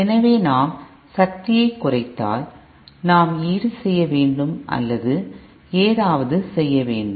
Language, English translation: Tamil, So but then if we reduce the power, then we have to compensate or something